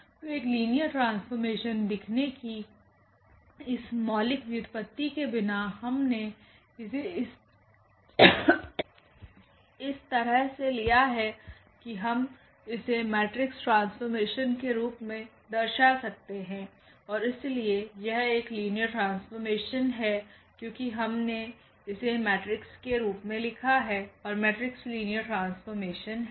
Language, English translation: Hindi, So, without that fundamental derivation of this to show that this is a linear map we have taken this way that this we can represent as a matrix map and therefore, this F is a linear map because we have written in terms of the matrix and matrixes are linear map